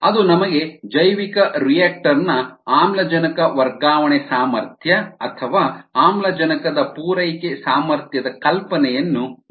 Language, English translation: Kannada, that gives us an idea of the oxygen transfer capacity or oxygen supply capacity of the bioreactor